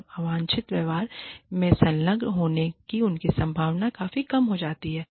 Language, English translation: Hindi, Then, their chances of engaging in undesirable behavior, are reduced, significantly